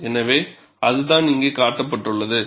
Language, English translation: Tamil, So, that is what is shown here